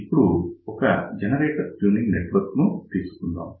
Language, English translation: Telugu, So, let us say we have a generator tuning network